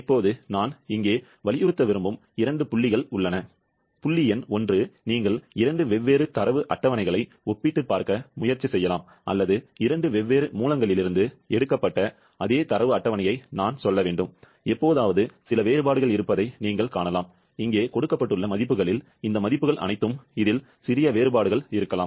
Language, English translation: Tamil, Now, there are 2 points that I would like to emphasise here, point number 1 that you may try to compared 2 different data tables or I should say the same data table taken from 2 different sources and occasionally, you may find there are some differences in the values that are given here, all these values, there may be small differences in this